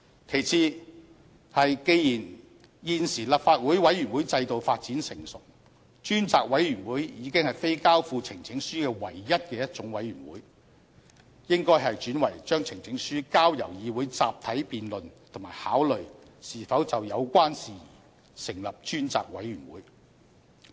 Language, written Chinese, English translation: Cantonese, 其次是既然現時立法會委員會制度發展成熟，專責委員會已非交付呈請書唯一的一種委員會，應該轉為將呈請書交由議會集體辯論及考慮是否就有關事宜成立專責委員會。, Moreover given the matured development of the committee system in the Legislative Council a select committee is no longer the only type of committee where a petition is referred to . We should refer the petition to this Council for collective debate and consideration as to whether a select committee should be appointed to handle the matter raised in the petition